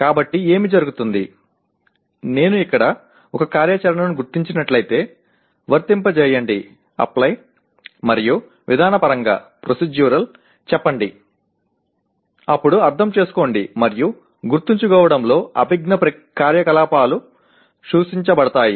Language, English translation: Telugu, So what happens, if I identify an activity here, let us say apply and procedural then the cognitive activities in Understand and Remember are implied